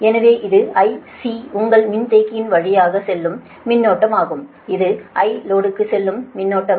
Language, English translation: Tamil, so this is the i c, that is current going to your capacitor and this is the current i going to the load, right